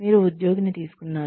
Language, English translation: Telugu, You hired the employee